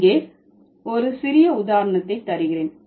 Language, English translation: Tamil, So, I will give a small example here